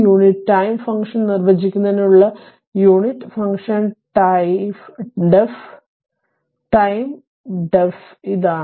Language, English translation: Malayalam, So, this is the unit function def time your def for all time how you define unit time function